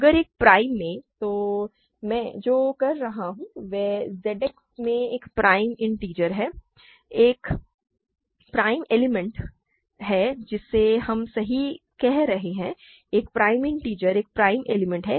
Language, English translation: Hindi, If a prime in; so, what I will be saying is a prime integer in Z X is a prime element that is what we are saying right, a prime integer is a prime element